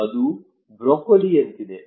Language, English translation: Kannada, It is like broccoli